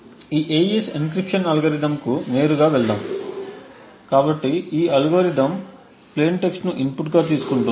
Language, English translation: Telugu, Let us go straight away to this AES encryption algorithm, so what this algorithm takes is an input which is the plain text